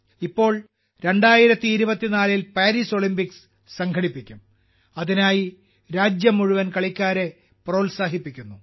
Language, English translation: Malayalam, Now Paris Olympics will be held in 2024, for which the whole country is encouraging her players